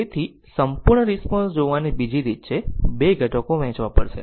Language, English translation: Gujarati, So, another way of looking at the complete response is to break into two components